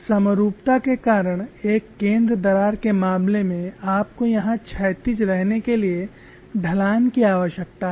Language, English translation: Hindi, In the case of a center crack specimen because of symmetry, you need to have the slope to remain horizontal here